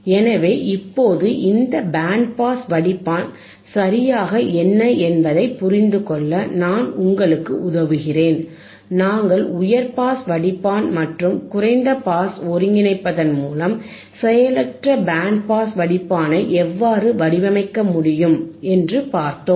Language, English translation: Tamil, So now, I help you to understand what exactly this band pass filter is, and we have seen how you can design a passive band pass filter by using the high pass filter and low pass filter by integrating high pass filter and low pass filter together in passive way it becomes passive band pass filter